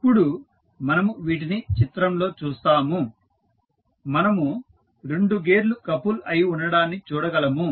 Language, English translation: Telugu, Now, we see these in the figure, we see 2 gears are coupled together